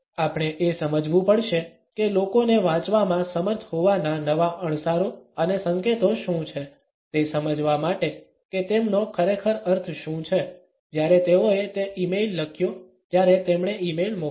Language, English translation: Gujarati, We have to understand, what are the new cues and signals of being able to read people, to understand what do they really mean, when they wrote that e mail when they sent